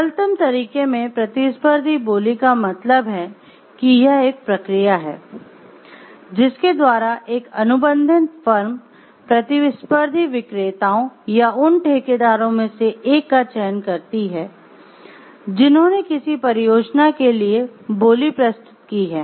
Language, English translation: Hindi, So, competitive bidding in its simplest term means it is a process by which a contracting firm, selects from amongst the competing vendors or contractors who have submitted bids for a project